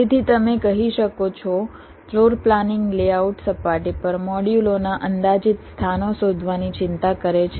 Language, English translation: Gujarati, so you can say, floor planning concerns finding the approximate locations of the modules on the layout surface